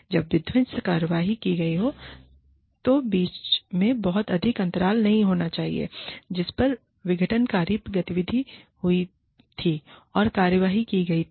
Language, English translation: Hindi, When the destructive action has been committed, there should not be too much of a gap, between, the time that the disruptive activity was committed, and the action was taken